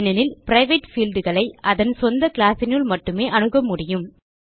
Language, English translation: Tamil, This is because private fields can be accessed only within its own class